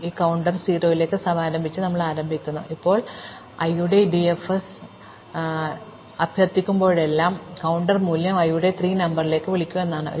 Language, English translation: Malayalam, So, we start by initializing this counter to 0, now whenever I invoke DFS of i, the first thing I do is assign the current counter value to something called the pre number of i